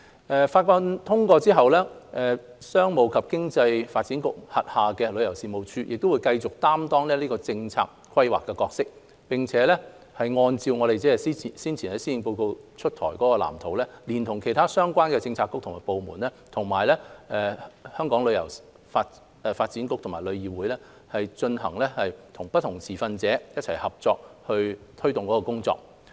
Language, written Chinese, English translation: Cantonese, 《條例草案》通過後，商務及經濟發展局轄下的旅遊事務署亦會繼續擔當政策規劃的角色，並按照早前施政報告推出的藍圖，聯同其他相關的政策局和部門，以及香港旅遊發展局和旅議會，與不同持份者一起合作推動工作。, After the passage of the Bill the Tourism Commission under the Commerce and Economic Development Bureau will continue to perform its role in policy planning . In accordance with the Blueprint mentioned in the Policy Address earlier the Tourism Commission together with the relevant bureaux and departments will take forward the work with the Hong Kong Tourism Board TIC and various stakeholders